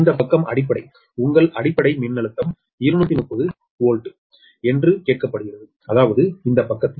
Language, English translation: Tamil, it has been ask that your base voltage is two thirty volt, them in this side